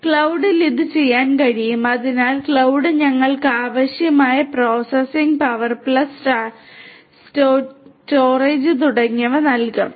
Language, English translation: Malayalam, And that can be done in the cloud so cloud will give us ample processing whatever is required processing power plus storage etc